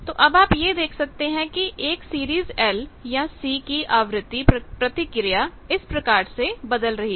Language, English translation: Hindi, Now, frequency response of a series L or C you can see that that varies like this is the frequency response